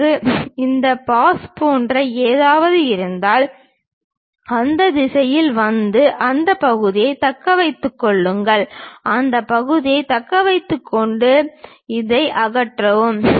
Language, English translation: Tamil, If I have something like this pass, comes in that direction, retain that part, retain that part and remove this